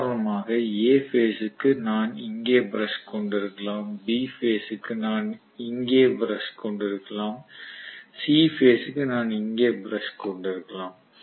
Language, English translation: Tamil, For example, for A phase I may have the brush here, for B phase I may have the brush here and for C phase I may have one more brush here